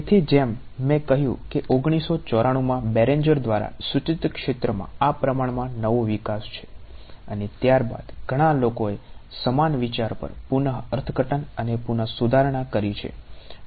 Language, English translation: Gujarati, So, as I mentioned this is a relatively new development in the field proposed by Berenger in 1994 and subsequently many people have reinterpreted and reformulated the same idea ok